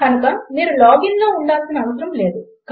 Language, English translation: Telugu, So you dont have to keep logging in